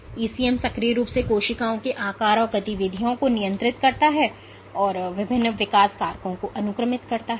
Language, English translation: Hindi, The ECM actively regulates shape and activities of the cells, it is sequesters various growth factors